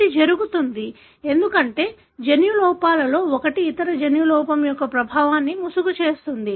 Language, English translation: Telugu, It happens, because one of the gene defects can mask the effect of other gene defect